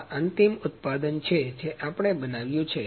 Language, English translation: Gujarati, So, this is the final product that we have manufactured